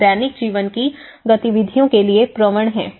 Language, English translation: Hindi, They are prone to the daily life activities